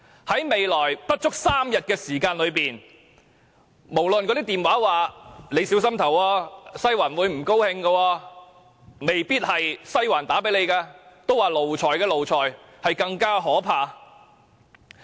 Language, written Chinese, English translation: Cantonese, 在未來不足3天的時間，可能電話傳來"你要小心投票，'西環'會不高興"，致電的也有可能不是"西環"，因為奴才的奴才更可怕。, The Election will be held in less than three days and EC members may receive phone calls asking them to vote properly otherwise Western District will be displeased . Nonetheless the caller may not be a member of Western District . The lackeys of lackeys are even more terrible